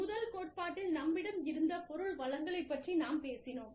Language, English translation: Tamil, So, in the first theory, we talked about the material resources, that we had